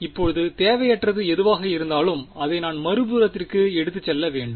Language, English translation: Tamil, Now whatever is unwanted I should move to the other side right